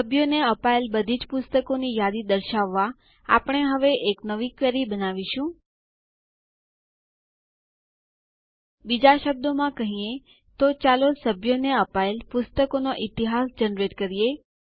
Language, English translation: Gujarati, Now we will create a new query, to list all the books that have been issued to the members, In other words, let us generate a history of books that have been issued to the members